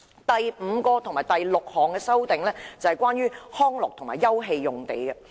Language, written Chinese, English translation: Cantonese, 第五及六項修正都是關於康樂及休憩用地的。, Items 5 and 6 of my amendment concern recreation and open space